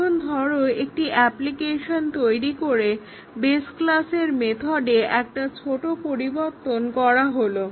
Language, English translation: Bengali, Now, let us say after I have developed an application, we make a small change to this method in the base class